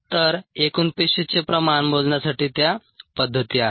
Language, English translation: Marathi, so those are the methods for total cell concentration measurement